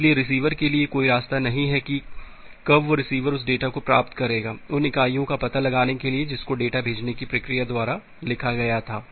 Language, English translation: Hindi, So, there is no way for the receiver when the receiver will receive that data, to detect the units in which the data were written by the sending process